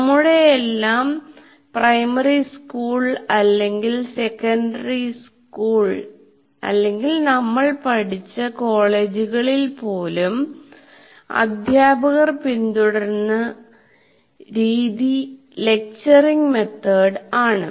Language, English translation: Malayalam, Even during our class, even primary school or secondary school or in the colleges where we studied, our teachers followed lecturing method